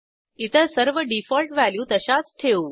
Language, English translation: Marathi, I will leave the default values as they are